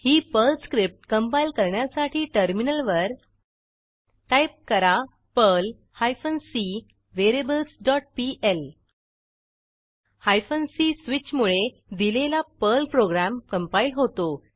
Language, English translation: Marathi, To compile this Perl script, on the Terminal typeperl hyphen c variables dot pl Hyphen c switch compiles the Perl script for any compilation/syntax error